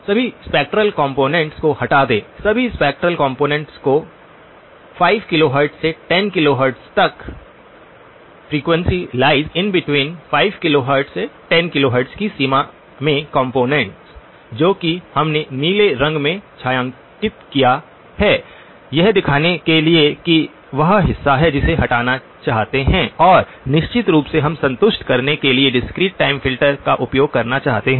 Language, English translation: Hindi, Remove all spectral components, all spectral components in the range 5 kilohertz to 10 kilohertz, components in the range of f greater than or equal to 5 kilohertz to 10 kilohertz which is what we have shaded in blue to show that that is the portion that we want to remove and of course we would like to use a discrete time filter to satisfy that